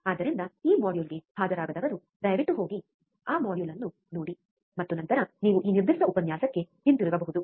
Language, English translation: Kannada, So, those who have not attended that module, please go and see that module, and then you could come back to this particular lecture